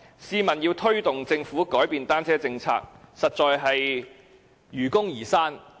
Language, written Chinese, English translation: Cantonese, 試問要推動政府改變單車政策，實在是否愚公移山？, Is it just an insurmountable task to urge the Government to make changes to the bicycle policy?